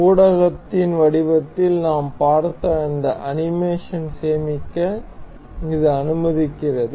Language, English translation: Tamil, This allows us to save this animation that we just saw in a form of a media